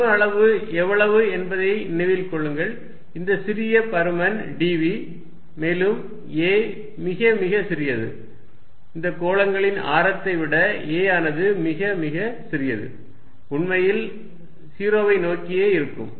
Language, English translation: Tamil, Remember, how much is the volume element, this small volume element d v is going to be again a is very, very small a is much, much, much less than the radius of these spheres a in fact, will tend to 0